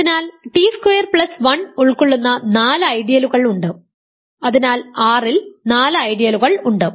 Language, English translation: Malayalam, So, there are four ideals that contains t squared plus 1 and hence there are four ideals in R and what are they